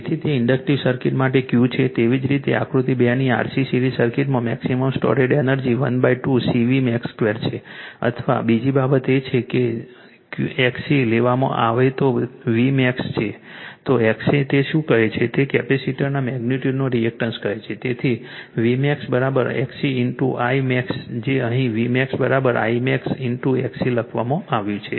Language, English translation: Gujarati, So, that is Q for inductive circuit right similarirly in the RC series circuit of the figure 2 the maximum stored energy half CV max square or and another thing is that in that your what you call your what you call that your V max if you took XC is the if XC is the your what you call the reactance of the capacitor magnitude will take therefore, V max right is equal to your XC in to your I max right that is written here v max is equal to say I max into XC